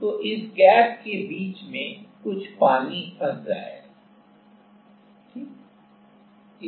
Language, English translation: Hindi, So, there will be some water trapped in between this gap ok